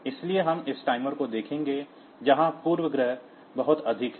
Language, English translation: Hindi, So, we will see that this timers there the precisions are very high